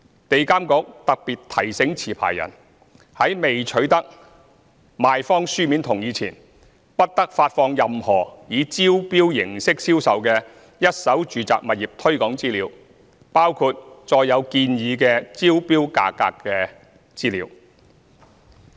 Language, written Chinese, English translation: Cantonese, 地監局特別提醒持牌人，在未取得賣方書面同意前，不得發放任何以招標形式銷售的一手住宅物業推廣資料，包括載有建議之投標價格的資料。, In particular EAA reminds licensees that without obtaining a vendors written endorsement they must not issue any materials promoting the sales of any first - hand residential properties by tender including the materials containing information on the suggested bidding price